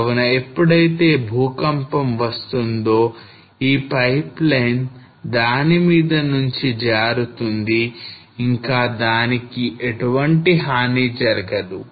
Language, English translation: Telugu, So when the earthquake came this just pipeline slide on the top of it and did not get did not damage